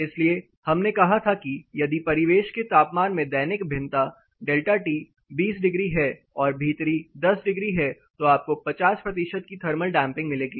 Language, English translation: Hindi, (Refer Slide Time: 01:08) So, we said if the ambient temperature diurnal variation is delta T is 20 degrees versus indoor 10 degrees then you will get a thermal damping of above 50 percentages